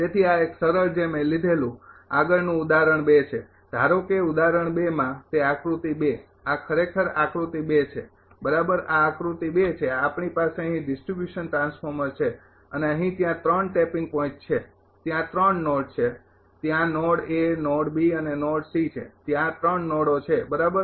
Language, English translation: Gujarati, So, this is a simple one I took the next one is example 2, suppose in example 2 that figure 2, this is actually figure 2, right this is figure 2 we have a we have a distribution transformer here and here ah ah that ah there are 3 tapping points that is 3 nodes are there node A, node B, and node C, the 3 nodes are there right